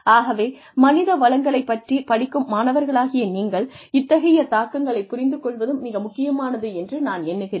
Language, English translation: Tamil, So again, as human resources, as students studying human resources, I think it is very important for you to understand these implications